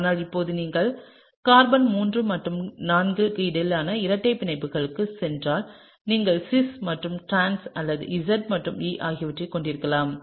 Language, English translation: Tamil, But now, if you go back to the double bond between carbon 3 and carbon 4, you could have cis and trans or Z and E